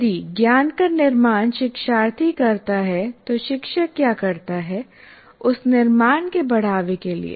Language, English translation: Hindi, But if construction is what the learner does, what the teacher does is to foster that construction